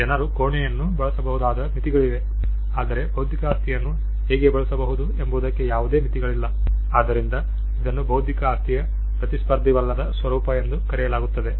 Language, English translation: Kannada, There are limits to which people can use a room, whereas there are no limits to how an intellectual property can be used, so this is what is referred as the non rivalrous nature of intellectual property